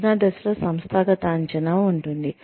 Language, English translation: Telugu, The assessment phase, includes organizational assessment